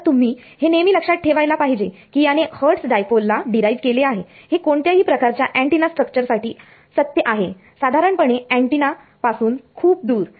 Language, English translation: Marathi, So, you should keep this in mind this have derived for hertz dipole, but this is true for any antenna structure in general far away from the antenna